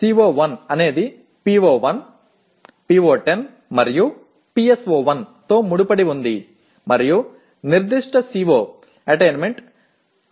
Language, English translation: Telugu, CO1 is associated with PO1, PO10 and PSO1 and the CO attainment that particular CO attainment is 62